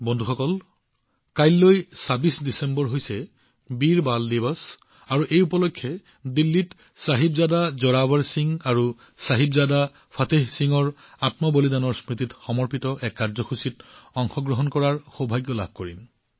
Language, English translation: Assamese, Friends, tomorrow, the 26th of December is 'Veer Bal Diwas' and I will have the privilege of participating in a programme dedicated to the martyrdom of Sahibzada Zorawar Singh ji and Sahibzada Fateh Singh ji in Delhi on this occasion